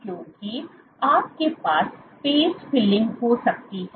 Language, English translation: Hindi, Because you can have the space filling